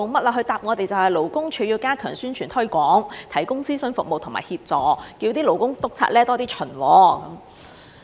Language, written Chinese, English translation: Cantonese, 他回答我們說，勞工處要加強宣傳推廣，提供諮詢服務和協助，叫勞工督察多些巡察。, In his reply to us he said the Labour Department would step up publicity and promotion provide consultation and assistance and increase the frequency of inspections by Labour Inspectors